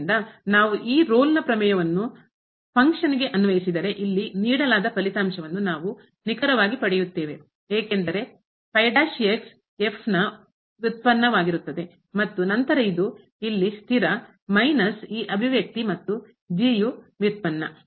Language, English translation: Kannada, So, if we apply the Rolle’s theorem now, to the function then we will get exactly the result which is given here because the will be the derivative of and then this is a constant here minus again this expression and the derivative of